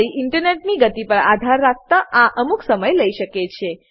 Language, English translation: Gujarati, This may take some time depending on your internet speed